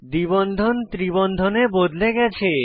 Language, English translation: Bengali, The double bond is converted to a triple bond